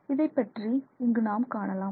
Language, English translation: Tamil, So, that is something that we will look at